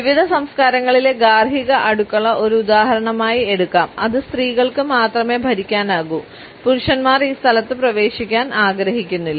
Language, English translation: Malayalam, The domestic kitchen in various cultures can be taken as an example which can be governed only by women and men would not prefer to enter this space